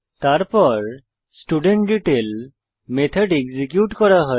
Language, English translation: Bengali, Then studentDetail method is executed